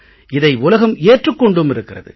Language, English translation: Tamil, The world has accepted this